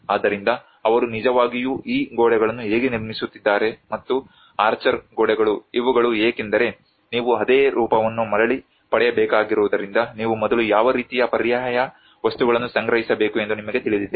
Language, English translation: Kannada, So how they are actually rebuilding these walls and also the archer, walls these are because you need to regain the same form you know what kind of alternative materials one has to procure first of all